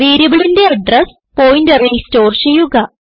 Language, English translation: Malayalam, Store the address of variable in the pointer